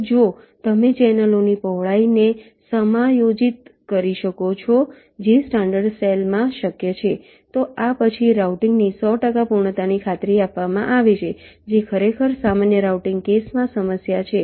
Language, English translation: Gujarati, and if you can adjust the width of the channels, which in standard cell is possible, then hundred percent completion of routing is guaranteed, which is indeed a problem in general routing case, say